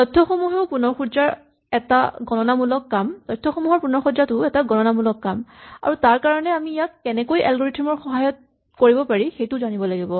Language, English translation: Assamese, So, reorganizing information is also a computational task and we need to know how to do this algorithmically